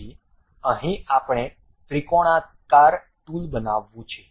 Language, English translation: Gujarati, So, here we want to construct a triangular tool